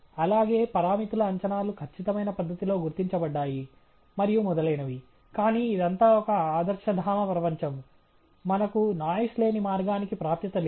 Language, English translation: Telugu, And also, the parameters estimates have been identified in a perfect manner and so on, but this is all a utopian world, we don’t have access to the noise free path